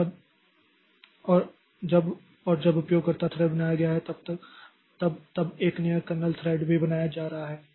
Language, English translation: Hindi, So, whenever a user level thread is created a kernel level thread is also created